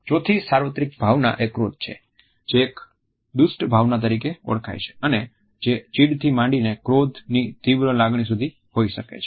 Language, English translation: Gujarati, Fourth universal emotion is anger, which is known as an ugly emotion and which can range anywhere from annoyance to an intense feeling of rage